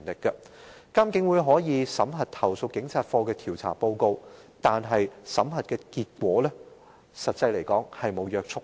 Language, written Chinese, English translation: Cantonese, 監警會可以審核投訴警察課的調查報告，但審核結果卻並無約束力。, IPCC may examine the investigation reports of CAPO yet the results of the examination are non - binding